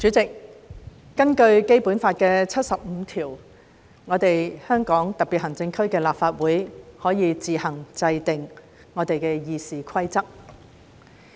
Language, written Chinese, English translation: Cantonese, 主席，根據《基本法》第七十五條，香港特別行政區立法會可以自行制定議事規則。, President Article 75 of the Basic Law provides that the Legislative Council of the Hong Kong Special Administrative Region may make its rules of procedure on its own